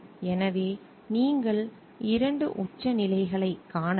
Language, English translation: Tamil, So, you can find 2 extremes